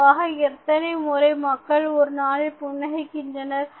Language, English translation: Tamil, So, how many times these people laugh in a day